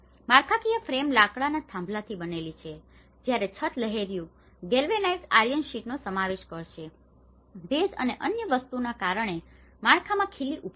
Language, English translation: Gujarati, The structural frame is made of wooden poles while the roofing will consist of corrugated, galvanized iron sheets, nail to the structure because of the moisture and other things